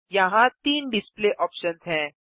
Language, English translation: Hindi, There three display options here